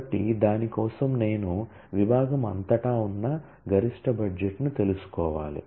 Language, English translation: Telugu, So, for that I need to know the maximum budget that exists across the department